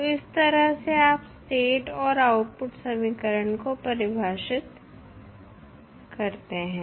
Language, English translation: Hindi, So, in this way you can define the state and output equation